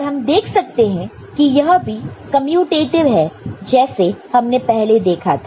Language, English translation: Hindi, And, we can see that this is also commutative, the way we have seen